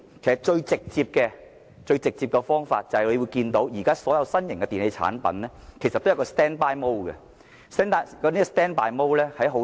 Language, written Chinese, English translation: Cantonese, 最直接的方法就是教育市民，現時新型電器產品提供的備用模式，其實並不省電。, The most direct way is to educate the public that the standby mode currently available in new - type electrical products cannot save energy actually